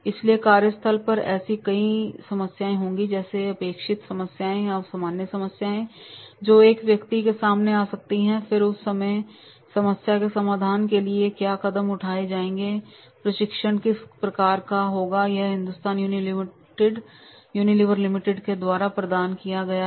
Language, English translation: Hindi, So at the workplace there will be like many problems or expected problems are the common problems which a person may come across and then at that time what will be the steps which are to be taken to solve the problem and that type of training will be provided by the H U